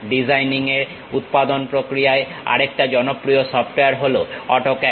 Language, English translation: Bengali, The other popular software in designing is in manufacturing AutoCAD